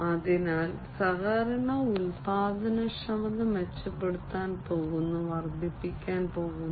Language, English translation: Malayalam, So, collaboration productivity is going to be improved, is going to be increased